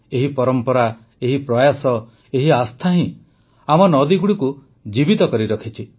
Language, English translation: Odia, And it is this very tradition, this very endeavour, this very faith that has saved our rivers